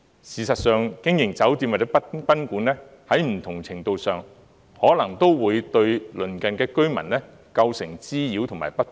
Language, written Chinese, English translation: Cantonese, 事實上，經營酒店或賓館，在不同程度上，可能都會對鄰近居民構成滋擾及不便。, As a matter of fact hotel or guesthouse business will more or less cause some nuisance or inconvenience to the nearby residents